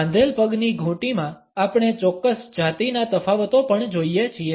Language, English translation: Gujarati, In the ankle lock, we also find certain gender differences